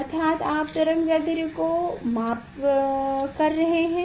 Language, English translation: Hindi, that means, you are measuring the wavelength